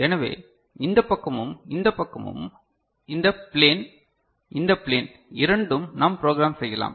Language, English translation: Tamil, So, this side as well as this side this plane, both the plane we can program right